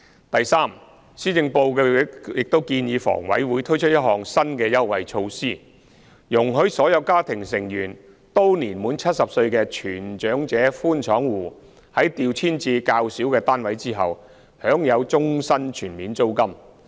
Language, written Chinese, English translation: Cantonese, 第三，施政報告亦建議房委會推出一項新的優惠措施，容許所有家庭成員均年滿70歲的全長者寬敞戶在調遷至較小的單位後，享有終身全免租金。, Third the Policy Address also advises HA to launch a new concessionary initiative whereby under - occupation households whose family members are all aged 70 or above are allowed to enjoy lifetime full rent exemption upon transferring to smaller units